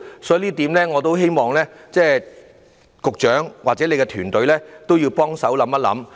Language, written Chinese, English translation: Cantonese, 所以，就這一點，我希望局長或其團隊要幫忙多加思考。, Therefore I hope that the Secretary or his team can put in more efforts to come up with a way to address this